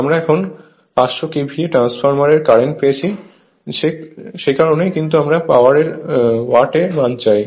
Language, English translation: Bengali, We also got the current now for 500 KVA transformer KVA watt given that is why, but if you want power in terms of watt